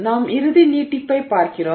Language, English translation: Tamil, So, we look at the final elongation